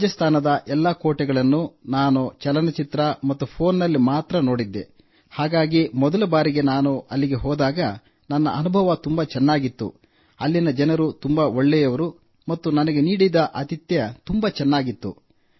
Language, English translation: Kannada, I had seen all these forts of Rajasthan only in films and on the phone, so, when I went for the first time, my experience was very good, the people there were very good and the treatment given to us was very good